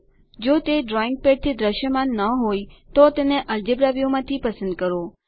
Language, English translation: Gujarati, If it is not visible from the drawing pad please select it from the algebra view